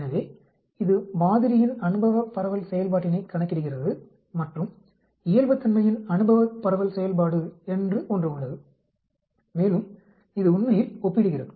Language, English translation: Tamil, So, it calculates an empirical distribution function, for this sample and there is an empirical distribution function for the normal and then it compares actually